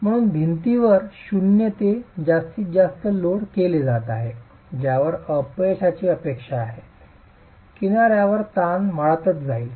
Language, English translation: Marathi, So, as the wall is being loaded from zero to maximum load at which failure is expected, the edge compressive stress is going to keep increasing